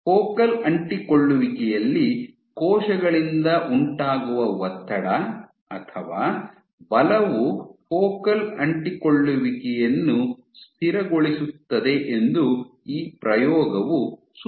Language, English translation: Kannada, So, this experiment suggests that tension or force exerted by cells at focal adhesions actually stabilize the focal adhesion